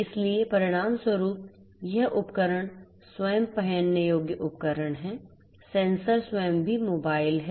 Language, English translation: Hindi, So, consequently this devices themselves are wearable devices, the sensors themselves are also a also mobile